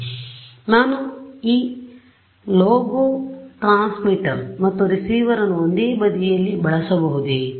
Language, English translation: Kannada, Can I use this lobo transmit and receiver in single side